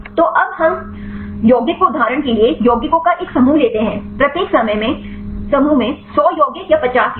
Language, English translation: Hindi, So, now we take the compound a set of compounds for example, a 100 compounds or 50 compounds in each group